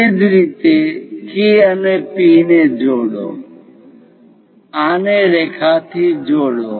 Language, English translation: Gujarati, Similarly, join K and P; connect this by a line